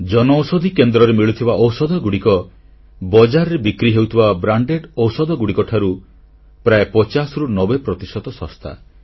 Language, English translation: Odia, Medicines available at the Jan Aushadhi Centres are 50% to 90% cheaper than branded drugs available in the market